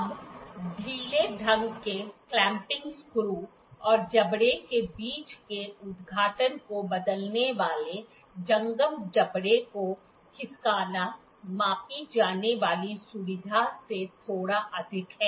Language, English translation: Hindi, Now, loosely the clamping screw and sliding the moveable jaw altering the opening between the jaws is slightly more than the feature to be measured